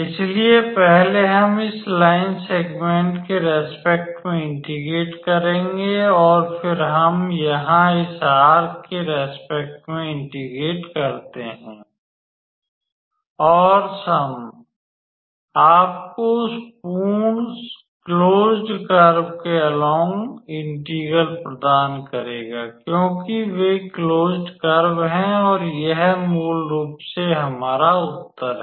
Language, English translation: Hindi, So, first we integrated with respect to this line segment and then, we integrated with respect to this arc here and the sum will actually give you the integral along that whole closed curve because they are closed and that is basically our answer is